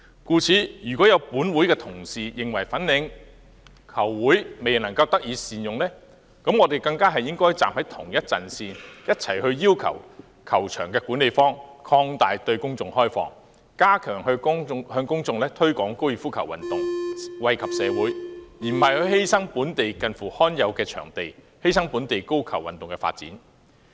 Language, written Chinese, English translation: Cantonese, 故此，要是會內同事認為粉嶺高爾夫球場未獲善用，我們更應該站在同一陣線，共同要求球場管理方擴大對公眾開放，加強向公眾推廣高爾夫球運動，以惠及社會，而不是犧牲本地罕有的場地及本地高爾夫球運動的發展。, Therefore if Honourable colleagues of this Council consider the Fanling Golf Course not being put to optimal use we have an even greater need to stand on the same front and jointly request the management of the course to allow for greater public access so as to strenthen the promotion of golf as a sport to the public for the benefit of society instead of sacrificing the scarce local venue and the local golf development